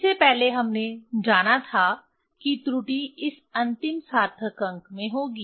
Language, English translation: Hindi, Earlier we came to know that error will be at this last significant figure